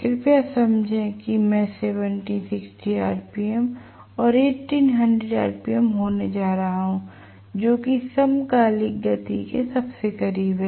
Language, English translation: Hindi, Please understand if I am going to have 1760 rpm and 1800 rpm will be the synchronous speed whatever is the closest